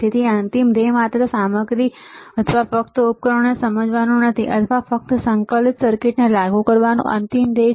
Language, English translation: Gujarati, So, the final goal is not to understand just the equipment or just the devices or just the integrated circuits final goal is to apply it